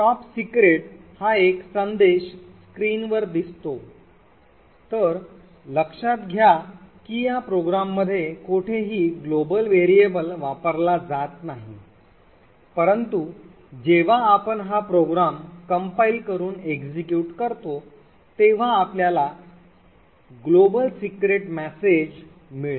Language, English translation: Marathi, So that this message this is a top secret message get displayed on the screen, so note that in anywhere in this program the global variable s is not used however we see that when we compile this program and run it we would obtain the global secret message, so let us do that